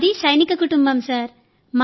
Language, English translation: Telugu, I am from military family